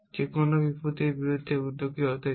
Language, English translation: Bengali, Anyone wants to venture against hazard against